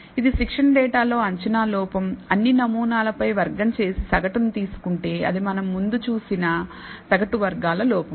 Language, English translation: Telugu, So, this is the prediction error on the training data square over all the samples and taken the average, that is the mean squared error that we have seen before